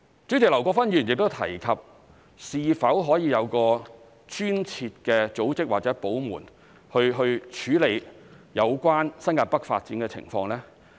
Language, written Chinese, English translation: Cantonese, 主席，劉國勳議員亦提及是否可以有專設的組織或部門處理有關新界北發展的情況。, President Mr LAU Kwok - fan also asked whether a dedicated organization or department can be set up to handle issues concerning the development of New Territories North